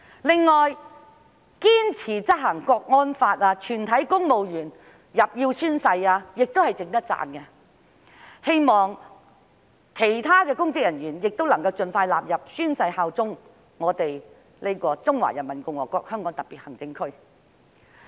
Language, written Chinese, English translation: Cantonese, 另外，堅持執行《香港國安法》、全體公務員須宣誓的做法，亦是值得讚許的，我希望其他公職人員亦能盡快納入宣誓的範圍，效忠中華人民共和國香港特別行政區。, Moreover the firm implementation of the Law of the Peoples Republic of China on Safeguarding National Security in the Hong Kong Special Administrative Region and the requirement that all civil servants should take an oath also warrant commendation . I hope other public officers will be required to take an oath of allegiance to the Hong Kong Special Administrative Region of the Peoples Republic of China as soon as possible